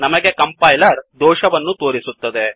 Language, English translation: Kannada, We get a compiler error